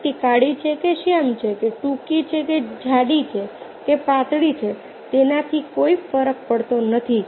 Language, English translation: Gujarati, whether the person, ah, is black or dark or short or fat or thin, doesn't matter